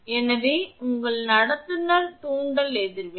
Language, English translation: Tamil, So, that your conductor inductive reactance